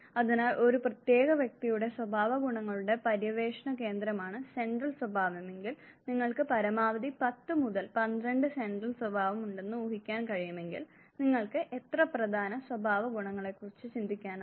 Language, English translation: Malayalam, So, you can imagine that if central traits are center of exploration of characteristics of a given individual and you can assume of at max tend to twelve central traits, then how many cardinal traits you can think of